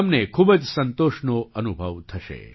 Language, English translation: Gujarati, You will feel immense satisfaction